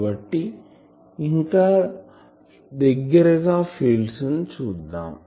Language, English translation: Telugu, So, let us see those fields more closely